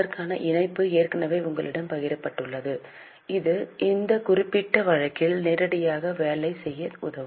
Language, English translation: Tamil, The link has already been shared with you that will help you to actually work on this particular case live